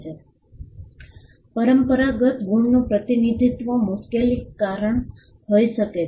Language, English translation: Gujarati, Representation of unconventional marks can be problematic